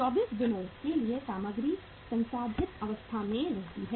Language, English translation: Hindi, For 24 days the material remains at the processed stage